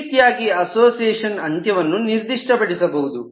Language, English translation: Kannada, so association end could be specified in this manner